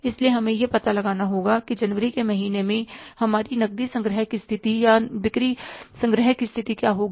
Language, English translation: Hindi, So, we will have to find out what would be our cash collection position or the sales collection position at the month of January